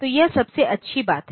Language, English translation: Hindi, So, this is the best thing